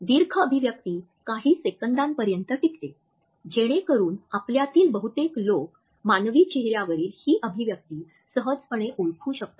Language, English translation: Marathi, Macro expressions last for certain seconds, so that most of us can easily make out the expression on the human face